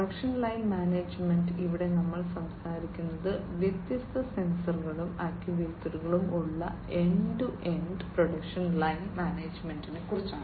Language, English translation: Malayalam, Production line management here we are talking about end to end production line management with different sensors, actuators, you know